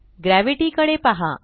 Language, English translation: Marathi, Take a look at Gravity